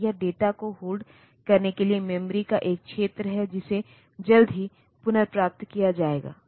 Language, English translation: Hindi, So, this is this is an area of memory to hold the data that will be retrieved soon